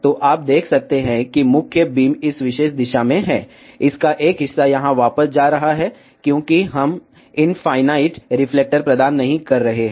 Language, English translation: Hindi, So, you can see that main beam is in this particular direction, part of that is going back here, because we are not providing infinite reflector